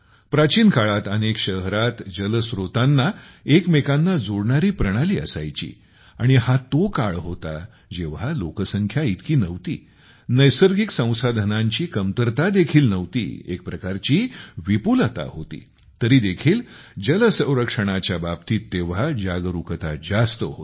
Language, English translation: Marathi, In ancient times, there was an interconnected system of water sources in many cities and this was the time, when the population was not that much, there was no shortage of natural resources, there was a kind of abundance, yet, about water conservation the awareness was very high then,